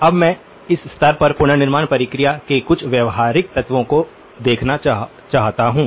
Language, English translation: Hindi, Now, I want to also at this stage itself, look at the some of the practical elements of the reconstruction process